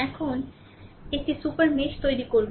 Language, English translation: Bengali, Now, we will create a super mesh